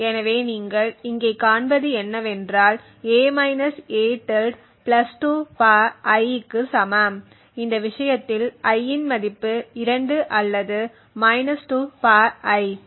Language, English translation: Tamil, So, what you see here is that a – a~ is either equal to (+2 ^ I) where I is 2 in this case or ( 2 ^ I)